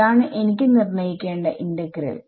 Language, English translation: Malayalam, That is the that is the integral I have to work out right